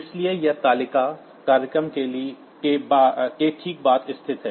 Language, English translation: Hindi, So, this table is located just after the program